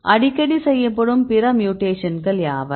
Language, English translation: Tamil, So, what are the other mutations which are frequently done